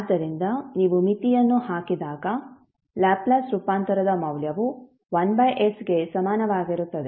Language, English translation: Kannada, So, when you put the limit you will get the value of Laplace transform equal to 1 by s